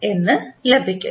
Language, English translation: Malayalam, So, how we get